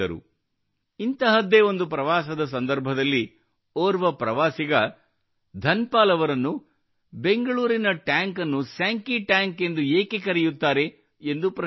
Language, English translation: Kannada, On one such trip, a tourist asked him why the tank in Bangalore is called Senki Tank